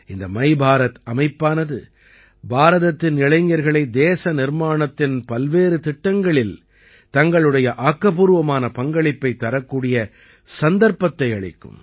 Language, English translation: Tamil, My Bharat Organization will provide an opportunity to the youth of India to play an active role in various nation building events